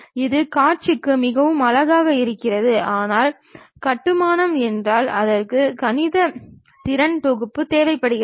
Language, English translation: Tamil, It looks for visual very nice, but construction means it requires little bit mathematical skill set